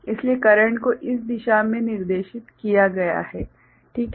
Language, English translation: Hindi, So, the current will be directed in this direction